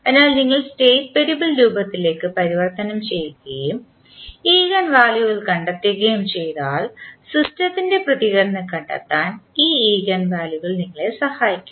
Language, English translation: Malayalam, So, if you converted into State variable firm and find the eigenvalues these eigenvalues will help us in finding out the response of the system